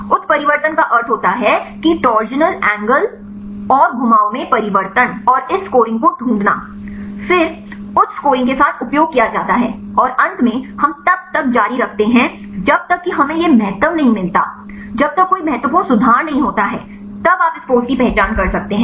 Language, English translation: Hindi, Mutations means the change in torsional angles and the rotations and find this scoring then again the used with these the higher high scoring ones and finally, we continue until unless we get this significance no significant improvements right then you can identify this pose